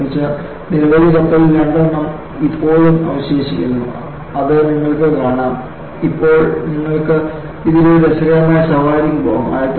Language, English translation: Malayalam, Out of the many ships fabricated, two still remain and it appears, now, you can go for a jolly ride in this